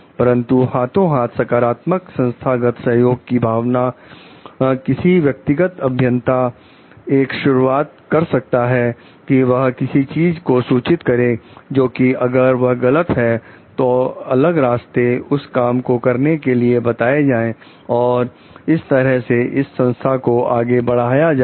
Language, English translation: Hindi, But, maybe hand in hand to give a sense of positive organizational support to the individual engineer to like take up initiatives to report anything which if it is wrong suggest different ways of doing things and that is how the organization moves ahead